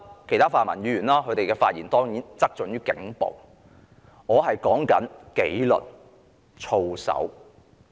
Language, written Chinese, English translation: Cantonese, 其他泛民議員的發言側重於警暴，而我說的是警隊的紀律、操守。, While other pan - democratic Members focus on police brutality in their speeches I will instead speak on the discipline and conduct of the Police Force